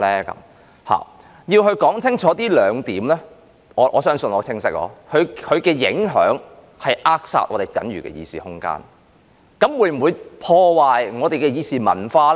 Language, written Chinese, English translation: Cantonese, 我要說清楚這兩點——我想我的言論是很清晰的——這次修訂的影響就是會扼殺我們僅餘的議事空間；至於會否破壞我們的議事文化？, I have to make clear two points―I think I have made myself very clear―the impact of this amendment exercise is that our remaining limited room for deliberation will be stifled